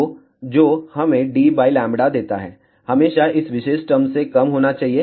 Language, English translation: Hindi, So, that gives us d by lambda should be always less than this particular term over here